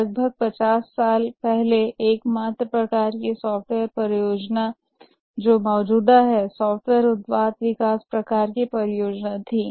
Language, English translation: Hindi, About 50 years back, the only type of software projects that were existing were software product development type of projects